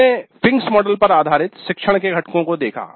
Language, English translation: Hindi, We saw the components of teaching based on Fink's model